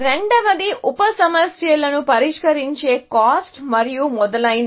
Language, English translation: Telugu, The second is the cost of solving the sub problems and so on